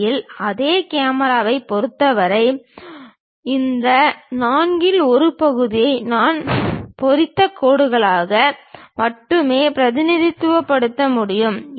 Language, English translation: Tamil, In fact, for the same camera I can only represent this one fourth quarter of that as hatched lines